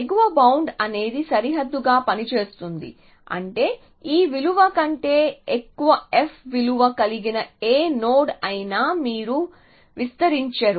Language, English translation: Telugu, So, the upper bound serves as a boundary which means that any node with f value greater than this value u you will not expand